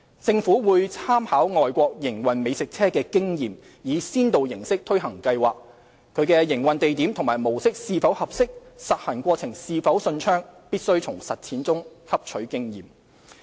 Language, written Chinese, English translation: Cantonese, 政府會參考外國營運美食車的經驗，以先導形式推行計劃，其營運地點和模式是否合適，實行過程是否順暢，必須從實踐上汲取經驗。, The Government would make reference to the experience of food trucks operation overseas and introduce food trucks to Hong Kong as a pilot scheme . The suitability of its operating locations operating mode and how smooth it would be implemented have to be learnt through the experience of various trials